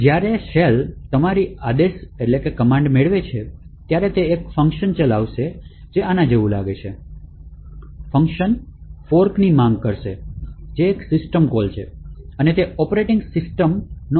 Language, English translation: Gujarati, So, when the shell receives your command, it would run a function which looks something like this, the function would invoke a fork, which is a system call and it invokes the operating system